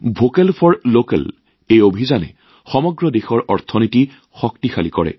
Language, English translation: Assamese, This campaign of 'Vocal For Local' strengthens the economy of the entire country